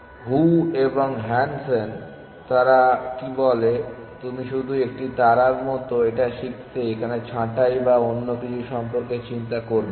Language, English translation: Bengali, So, what do Zhou and Hansen do they say you just learn it like a star do not worry about pruning or something